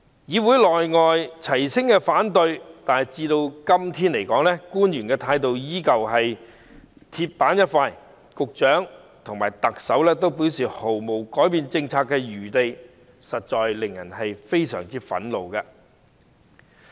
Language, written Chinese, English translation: Cantonese, 議會內外齊聲反對，但官員的態度至今仍是鐵板一塊，局長和特首均表示該政策毫無改變餘地，實在令人非常憤怒。, There is unanimous opposition both inside and outside the Council but the officials attitude remains rigid like an iron plate . Both the Secretary and the Chief Executive have stated that there is no room for revising the policy . It is really infuriating